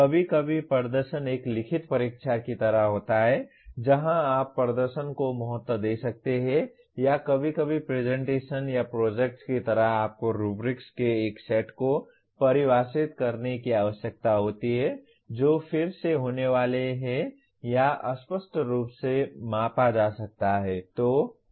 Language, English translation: Hindi, Sometimes the performance is like a written examination where you can value the performance or sometimes like presentations or projects you need to define a set of rubrics which are again are to be or can be unambiguously be measured